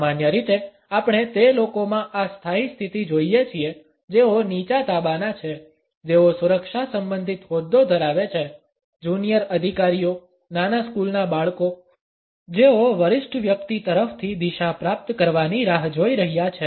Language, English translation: Gujarati, Normally, we come across this standing position in those people who are subordinate, who hold a security related position, amongst junior officers, young school children who are waiting to receive a direction from a senior person